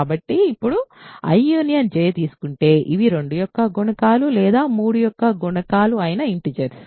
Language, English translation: Telugu, So now, if you take I union J these are integers which are multiples of 2 or multiples of 3